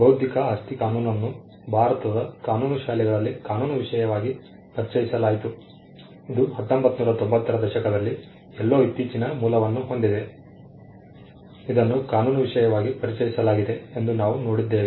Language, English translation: Kannada, Intellectual property law was introduced as a legal subject in the law schools in India, it is of recent origin in somewhere in the 1990's, we saw that it was introduced as a legal subject